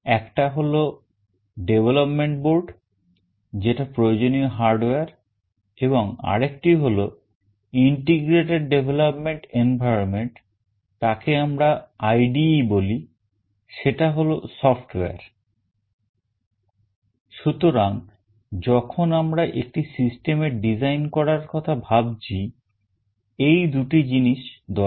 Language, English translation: Bengali, One is the development board, that is the hardware that is required, and another is Integrated Development Environment, we call it IDE that is the software